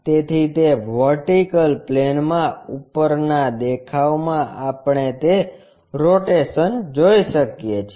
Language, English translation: Gujarati, So, that in the vertical plane, ah top view we can see that rotation